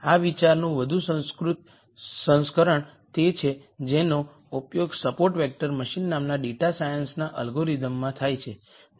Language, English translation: Gujarati, A more sophisticated version of this idea is what is used in one of the data science algorithms called support vector machine